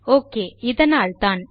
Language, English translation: Tamil, Okay thats why